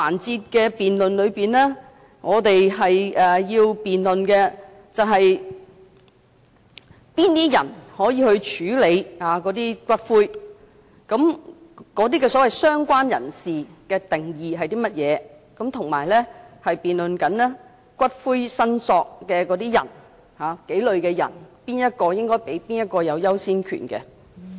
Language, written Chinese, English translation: Cantonese, 在這辯論環節，我們要辯論的是，誰可以領回骨灰，所謂"相關人士"的定義是甚麼，以及辯論數類骨灰的"訂明申索人"之中，誰可以有優先權。, In this debate we are debating who can make a claim for the return of ashes that is the definition of the so - called related person as well as who has the priority of claim among several categories of prescribed claimant